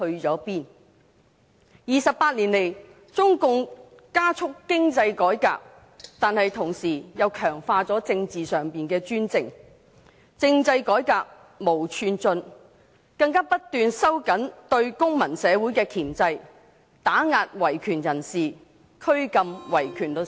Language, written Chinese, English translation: Cantonese, 這28年來，中共加速經濟改革，但同時強化政治上的專政，政制改革毫無寸進，更不斷收緊對公民社會的箝制、打壓維權人士和拘禁維權律師。, Over the last 28 years while the Communist Party of China has accelerated the economic reform it has also reinforced its political dictatorship without making any progress in political reform and even kept tightening up the control on the civil society suppressing human rights activists and detaining human rights lawyers